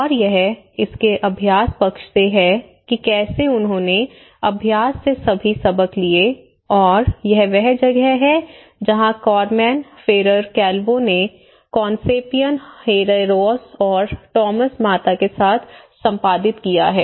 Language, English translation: Hindi, And, it is from the practice side of it how they brought all the lessons from practice and this is where its been edited by Carmen Ferrer Calvo with Concepcion Herreros and Tomas Mata